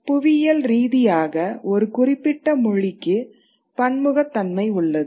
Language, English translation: Tamil, So, geographically, there is a certain kind of diversity of language